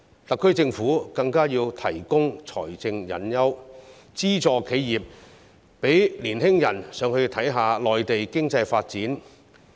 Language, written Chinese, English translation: Cantonese, 特區政府更要提供財政誘因，資助企業，讓青年人到內地看看當地經濟發展。, It is imperative for the SAR Government to provide financial incentives and subsidize enterprises so that young people can go to the Mainland to see the local economic there